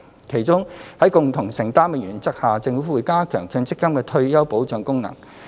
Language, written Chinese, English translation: Cantonese, 其中，在共同承擔的原則下，政府會加強強積金的退休保障功能。, Among others under the principle of shared responsibility the Government will strengthen the MPF retirement protection